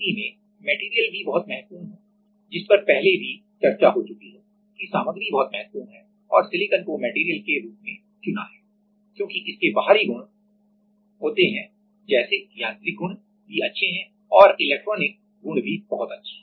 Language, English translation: Hindi, Now, in that case the material is also very important as we are discussing earlier also that the material is very much important and this silicon is chosen as the material because it has externally properties like it has good mechanical properties also and good electronic properties also